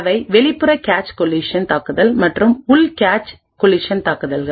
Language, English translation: Tamil, collision attacks, they are external cache collision attacks and internal cache collision attacks